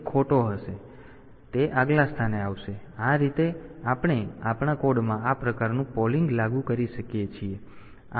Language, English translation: Gujarati, So, it will be coming to the next position, this way we can have this type of polling implemented in our code